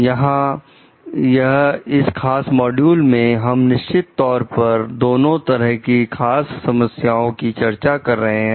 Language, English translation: Hindi, Here, in this particular module, we are exactly discussing like both the sides of a particular problem